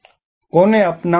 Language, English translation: Gujarati, Who should adopt